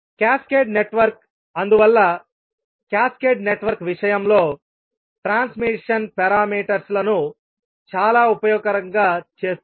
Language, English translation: Telugu, This is basically very important property for the transmission the cascaded network that is why makes the transition parameters very useful in case of cascaded network